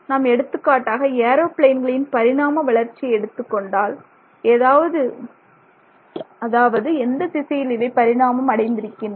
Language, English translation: Tamil, If you look at how aeroplanes have evolved for example, that's the direction in which they have always been evolving